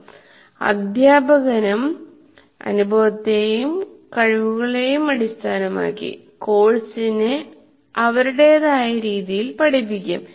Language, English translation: Malayalam, Each teacher, after all, based on his experience and his abilities, will look at the course in his own way